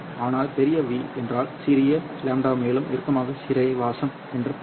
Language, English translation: Tamil, But larger V means a smaller lambda also means tighter confinement